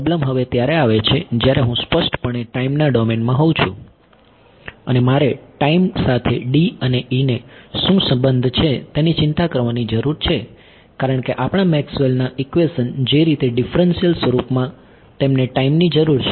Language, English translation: Gujarati, The problem comes in now when I am explicitly in time domain I have to worry about what is the relation of D and E in time because our Maxwell’s equations the way in the differential form they need time yeah